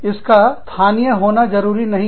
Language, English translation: Hindi, It does not have to be local